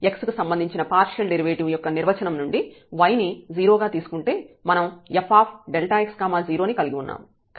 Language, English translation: Telugu, So, we have the definition of the partial derivative with respect to x so, f delta x 0, so here if you put y 0